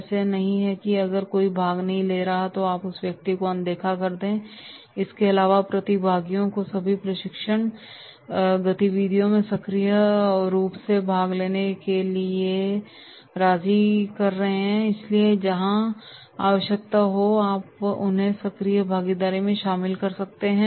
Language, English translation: Hindi, It is not if somebody is not participating you are ignoring that person, besides general persuasion to the participants to actively participants in all training activities so therefore you can involve them into the active participation wherever necessity is there